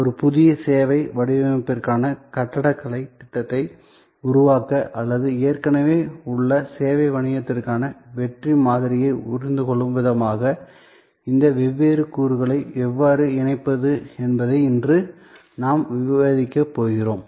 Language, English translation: Tamil, Today, we are going to discuss, how do we combine these different elements to create an architectural plan for a new service design or a way of understanding the success model for an existing service business